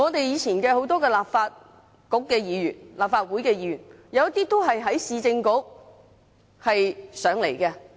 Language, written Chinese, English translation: Cantonese, 以前很多立法局和立法會議員，都是在市政局起步。, In the past many Legislative Council Members started their political careers in the Municipal Councils